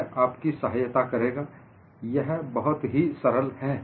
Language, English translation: Hindi, Then, I will help you; it is fairly simple